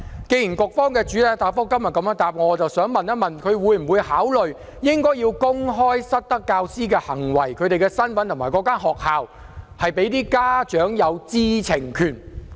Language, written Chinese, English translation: Cantonese, 基於局方的主體答覆，我想問局長會否考慮公開失德教師的行為、身份及所屬學校，讓家長有知情權？, To follow up on the main reply of the Bureau I would like to ask whether the Secretary will consider making public the misconduct identities and schools of misbehaving teachers to enable parents to have the right to know?